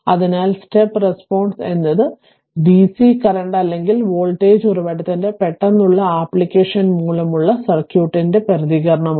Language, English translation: Malayalam, And so, the step response is the response of the circuit due to a sudden application of a dccurrent or voltage source